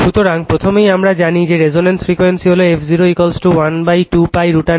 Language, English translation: Bengali, So, first thing we know that resonance frequency f 0 is equal to 1 upon 2 pi root over LC